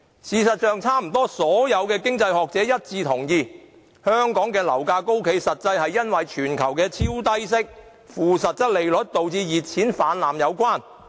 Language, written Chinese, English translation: Cantonese, 事實上，差不多所有經濟學者都一致同意，香港的樓價高企與全球超低息、負實際利率，導致熱錢泛濫有關。, As a matter of fact almost all economists have unanimously echoed that the high property prices in Hong Kong are related to the influx of hot money due to the global low interest rates and negative real interest rates